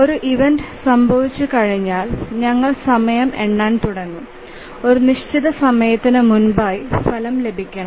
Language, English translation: Malayalam, So once an event occurs, then we start counting the time and we say that before certain time the result must be produced